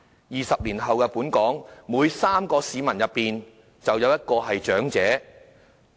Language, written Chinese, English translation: Cantonese, 二十年後，香港每3名市民之中，便有1人是長者。, Twenty years later one in every three people in Hong Kong will be an elderly person